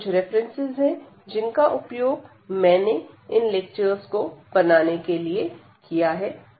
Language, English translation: Hindi, So, these are the references we have used for preparing the lectures